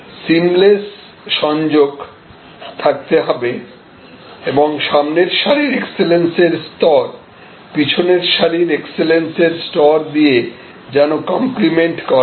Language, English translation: Bengali, The seamless connectivity and the same level of excellence at the front stage must be complimented by that same level of excellence at the back stage